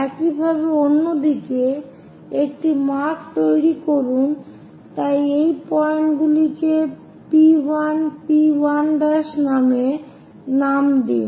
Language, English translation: Bengali, Similarly, on the other side make a cut, so name these points as P 1 and P 1 prime